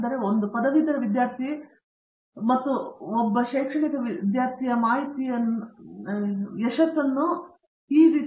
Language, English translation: Kannada, So, as a graduate student and academic this is how I measure the success of a graduate student